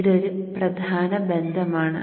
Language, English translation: Malayalam, Now this is a very important relationship